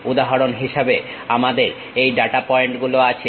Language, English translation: Bengali, For example, we have these data points